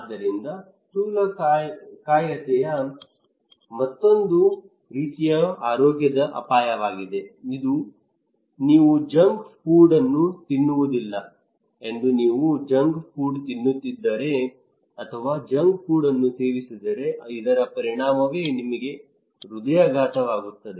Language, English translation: Kannada, So obesity is another kind of health risk that you do not eat junk food if you are junk get taking junk food eating junk food then this is the consequence, okay and you will get heart attack